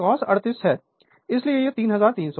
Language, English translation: Hindi, So, it is cos 38 degree so, that is why it is cos 38 degree, it is 3300 watt